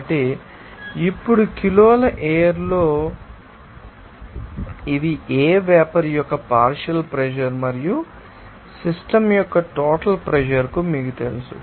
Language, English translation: Telugu, So, in kg of what kg is air now, you know these are partial pressure of what vapour and also you know that total pressure of the system